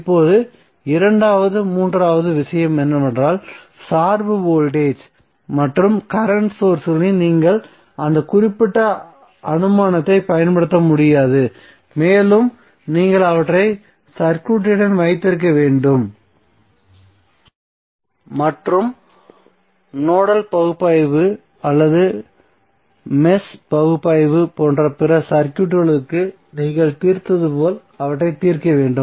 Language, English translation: Tamil, Now second important thing is that you cannot do that particular, you cannot apply that particular assumption in case of dependent voltage or current sources and you have to keep them with the circuit and solve them as you have solved for others circuits like a nodal analyzes or match analyzes